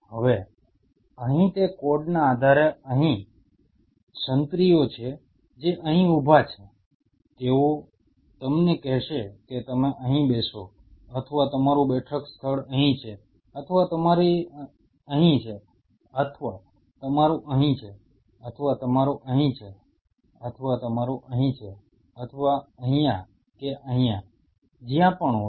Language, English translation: Gujarati, Now, based on that code here there are sentries who are standing out here they will tell you that you are sitting spot is here or your sitting spot is here or yours is here or yours is here or yours is here or here or here whatever